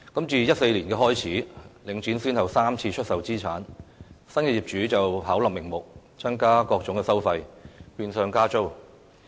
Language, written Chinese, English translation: Cantonese, 自2014年，領展先後3次出售資產，新業主巧立名目，增加各種收費，變相加租。, Link REIT has since 2014 thrice sold its assets one after another . The new owners have concocted various pretexts to increase various fees and charges which is de facto a rent hike